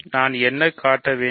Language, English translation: Tamil, So, what do I have to show